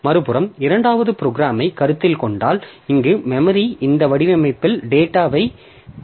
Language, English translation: Tamil, So, on the other hand, if we consider the second program, so here also I assume that my memory is having the data in this format